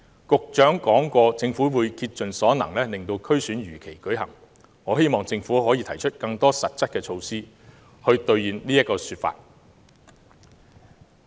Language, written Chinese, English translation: Cantonese, 局長說過政府會竭盡所能令區選如期舉行，我希望政府可以提出更多實質的措施，兌現這個說法。, The Secretary says that the Government will make every effort to hold the election as scheduled . I hope the Government can put forth more specific measures to fulfil its words